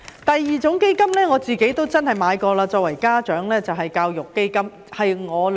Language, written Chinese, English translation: Cantonese, 第二種基金，就是我作為家長購買過的教育基金。, The second fund is the education fund which I purchased as a parent . I started purchasing such fund since the births of my two sons